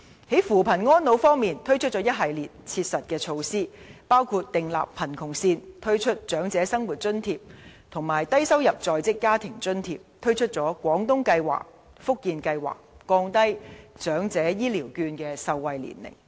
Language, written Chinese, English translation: Cantonese, 在扶貧安老方面，政府推出一系列切實措施，包括訂立貧窮線、推出長者生活津貼及低收入在職家庭津貼、推出"廣東計劃"、"福建計劃"，以及降低長者醫療券的受惠年齡。, Regarding poverty alleviation and elderly care the Government has proposed a series of concrete measures including setting the poverty line introducing OALA and the Low - income Working Family Allowance introducing the Guangdong Scheme and Fujian Scheme as well as lowering the eligibility age for Elderly Health Care Vouchers